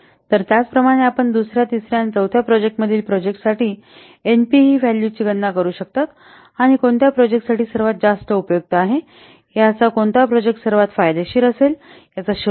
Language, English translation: Marathi, You can calculate the NPV values for the projects for the second, third and for project and you can draw the inference, find out which project with the most preferred one, which project will be the most beneficial one